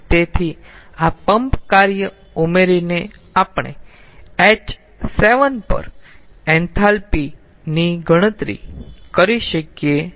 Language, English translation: Gujarati, so by ah adding this pump work we can calculate the enthalpy at h seven